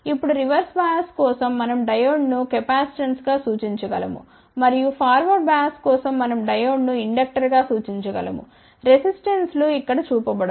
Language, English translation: Telugu, Now, for reverse bias we can represent the Diode as capacitance and for forward bias we can represent the Diode as inductor, resistances are not shown over here just to show you what this configuration looks like